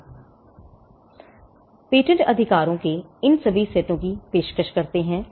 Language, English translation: Hindi, Now, patents offer all these sets of rights